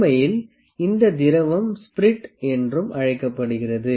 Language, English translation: Tamil, Actually this fluid, fluid is also known as spirit